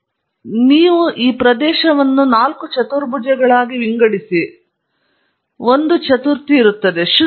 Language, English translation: Kannada, So, you divide the areas space into four quadrants and there is a quadrant to be avoided